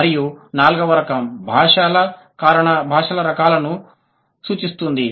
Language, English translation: Telugu, And the fourth type, reference to language types